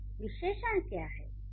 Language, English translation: Hindi, So, what are the adjectives